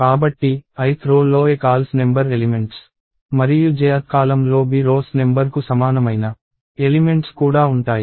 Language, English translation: Telugu, So, i th row will have aCols number of elements and j th column will also have bRows equal to a columns number of elements